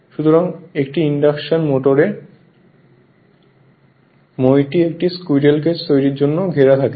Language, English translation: Bengali, So, therefore, in an induction motor the ladder is enclose upon itself to form a squirrel cage